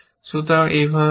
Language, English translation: Bengali, So, this is that